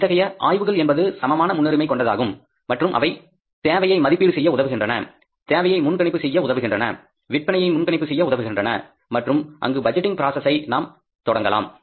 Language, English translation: Tamil, So these research studies are equally important and they help us in the estimation of the demands, forecasting of the demands, forecasting of the sales and there we start the budgeting process from